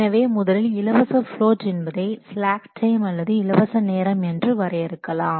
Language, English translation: Tamil, So, we define free float as it is a slack time or a free time